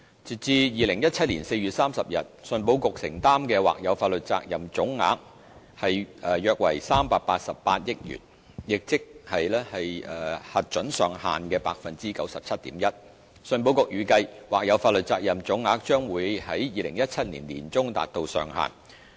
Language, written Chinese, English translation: Cantonese, 截至2017年4月30日，信保局承擔的或有法律責任總額約為388億元，亦即核准上限的 97.1%， 信保局預計，或有法律責任總額將會在2017年年中達到上限。, As at 30 April 2017 the contingent liability of all valid policies amounted to about 38.8 billion representing 97.1 % of the cap of 40 billion . ECIC estimates that the contingent liability would reach 40 billion by mid - 2017